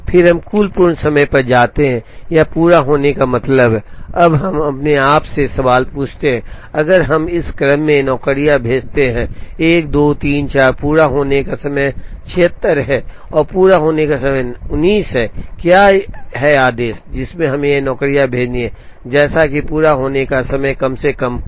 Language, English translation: Hindi, Then we move to the total completion time or mean completion time, now we ask ourselves the question, if we send the jobs in this order 1 2 3 4, the sum of completion time is 76 and the mean completion time is 19, what is the order, in which we have to send these jobs, such that sum of completion times is minimized